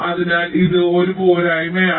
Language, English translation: Malayalam, so this is a drawback